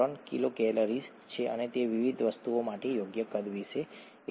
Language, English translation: Gujarati, 3 kilocalories per mole and that’s about the right size for various things